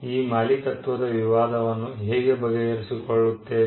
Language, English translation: Kannada, How are we going to settle this ownership dispute